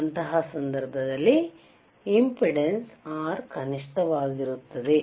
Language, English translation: Kannada, c Iin thatwhich case, the impedance R would be minimum